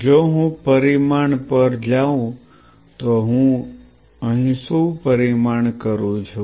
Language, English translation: Gujarati, If I go to the quantifying what am I quantifying here